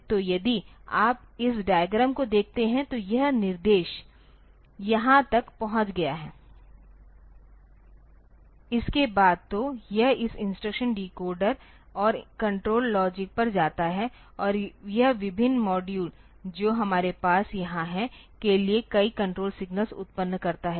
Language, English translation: Hindi, So, if you look into this diagram, so, this after this instruction has reached here, so, it goes to this instruction decoder and control logic and it generates a number of control signals for various modules that we have here